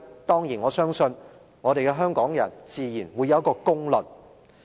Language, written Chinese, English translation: Cantonese, 當然，我相信香港人自然會有一個公論。, I am certain that the people of Hong Kong will pass a fair judgment on this